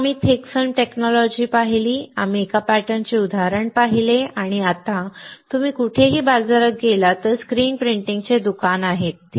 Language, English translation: Marathi, Then we saw thick film technology, we saw an example of a pattern, and now if you go somewhere may be in market there is a screen printing shop